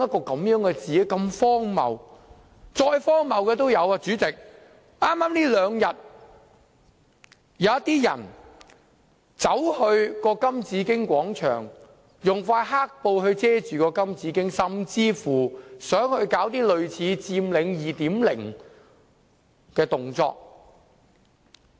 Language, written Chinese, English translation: Cantonese, 代理主席，更荒謬的是，這兩天，有些人走到金紫荊廣場，用一塊黑布遮蓋金紫荊，甚至想搞類似"佔領 2.0" 的動作。, This is ridiculous . Deputy President what is more ridiculous is that in these two days some people once covered the Golden Bauhinia statue in Golden Bauhinia Square with black cloth and even tried to stage something like Occupy 2.0